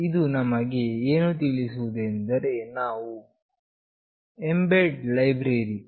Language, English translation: Kannada, This says that we have to include mbed library mbed